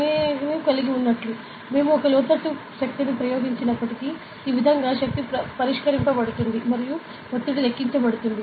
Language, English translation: Telugu, So, as I have, even if we apply an inland force this is how the force is resolved and pressure is calculated